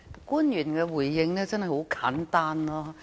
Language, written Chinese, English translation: Cantonese, 官員的回應真的很簡單。, The officials response is indeed very simple